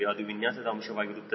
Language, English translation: Kannada, it is a design parameter